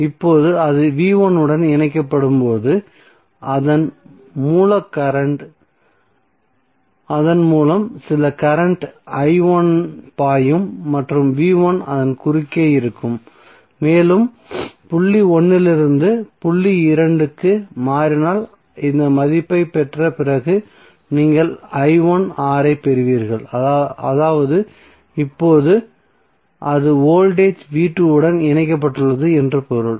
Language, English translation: Tamil, So now when it is connected to V1 then you will have some current i1 flowing through it and the V1 will be across it and you will get I1 into R after getting this value if you switch over from point 1 to point 2 it means that now it is connected to voltage V2